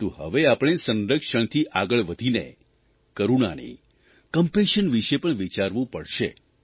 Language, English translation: Gujarati, But, we now have to move beyond conservation and think about compassion